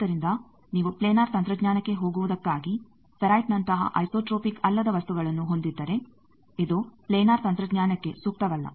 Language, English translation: Kannada, So, for going to planar technology if you have non isotropic material like ferrite it is not amenable to planar technology